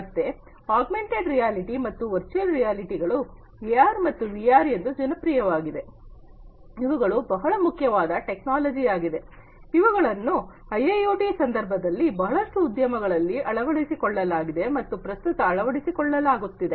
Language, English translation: Kannada, So, augmented reality and virtual reality, AR and VR, they are popularly known as AR and VR, are quite you know important technologies, that have been adopted and are being adopted at present in different IIoT context in the different industries